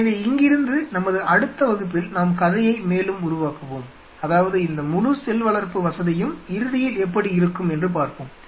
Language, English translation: Tamil, So, from here in our next class, we will further build up the story, how this whole facility will eventually look